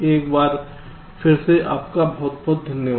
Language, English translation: Hindi, thank you very much once again